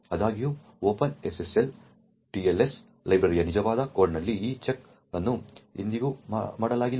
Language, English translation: Kannada, However, in the actual code of the Open SSL TLS library this check was never made